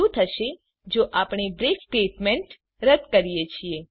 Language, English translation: Gujarati, Now let us see what happens if we remove the break statement